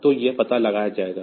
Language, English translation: Hindi, So, that will be detected